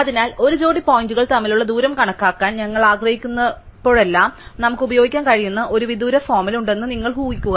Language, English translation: Malayalam, So, you just assume that there is a distance formula which we can use whenever we want to compute the distance between a pair of points